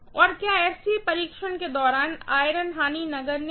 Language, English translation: Hindi, And are the iron losses negligible during the SC test